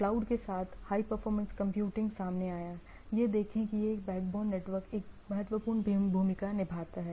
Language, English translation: Hindi, With cloud, high performance computing coming into play, see this overall backbone network plays important role